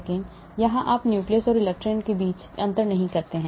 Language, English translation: Hindi, Here you do not differentiate between the nucleus and electrons